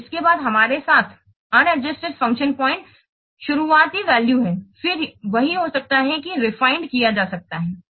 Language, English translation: Hindi, So this is the unadjusted function point after this on adjusted function point we have to this is the initial value then that can be what then that can be refined